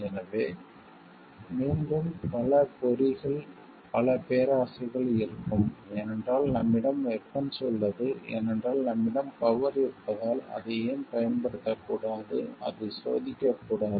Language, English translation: Tamil, So, there will be many traps many greed s again, because we have the weapon because we have the power why not just use it and test it